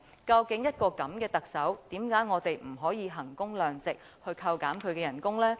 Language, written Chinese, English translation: Cantonese, 究竟一個這樣的特首，為何我們不可以衡工量值，扣減他的薪酬呢？, After all with a Chief Executive as such why can we not apply value for money to deduct his salary?